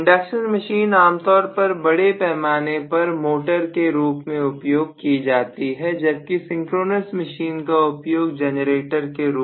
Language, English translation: Hindi, The induction machine generally by and large is used as motor whereas the synchronous machine by and large is used as a generator